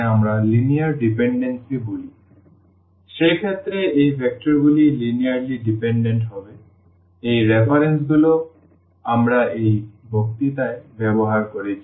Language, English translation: Bengali, So, in that case those vectors will be linearly dependent; so, these are the references we have used in this lecture